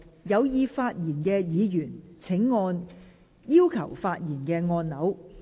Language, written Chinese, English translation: Cantonese, 有意發言的議員請按下"要求發言"按鈕。, Members who wish to speak will please press the Request to speak button